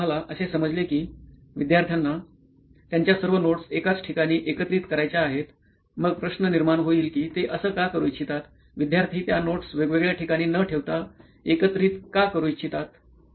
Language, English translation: Marathi, So then what we understood is students want to organize all their notes in one place, then the question would be why, why would they want to organize it in one place instead of having it in several places